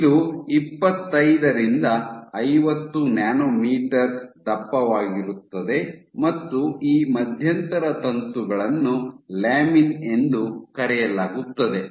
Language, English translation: Kannada, So, this is 25 to 50, nanometer thick and these intermediate filaments are called lamins